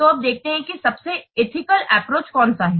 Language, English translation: Hindi, So, now let's see which is the most ethical approach